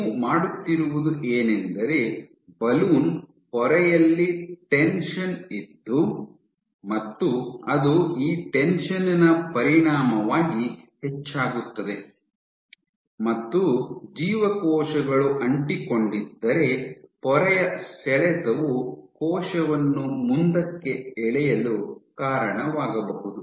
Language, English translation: Kannada, So, what you are doing is the balloon membrane you have a tension, a membrane tension which goes up as a consequence it is this tension, if you are adherent then the membrane tension itself can lead to pulling the cell forward